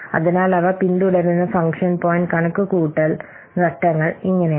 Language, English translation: Malayalam, So this is how the function point computation steps they follow